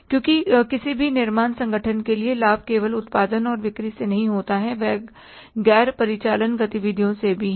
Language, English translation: Hindi, Because profit to any manufacturing organization is not only from the production and sales, it is from the non operating activities also